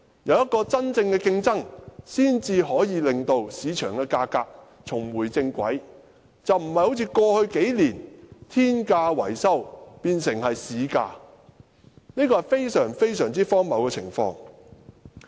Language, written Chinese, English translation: Cantonese, 有真正的競爭，市場價格才能重回正軌，不再好像過去數年般，維修工程的天價變成市價，這是非常荒謬的情況。, Only genuine competition can bring the market price back onto the normal track and reverse the very absurd situation of astronomical charges for maintenance works being taken as the market price over the past few years